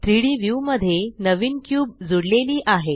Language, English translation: Marathi, A new cube is added to the 3D view